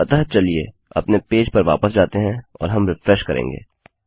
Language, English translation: Hindi, So, lets go back to our page and we will refresh